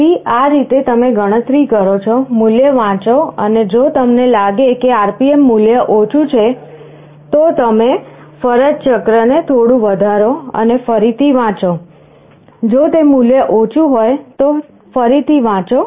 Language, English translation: Gujarati, So, in this way you calculate, read the value, and if you find that the RPM value is lower, you increase the duty cycle a little bit and again read; if it is lower you again read